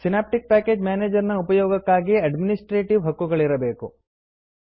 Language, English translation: Kannada, You need to have the administrative rights to use Synaptic package manager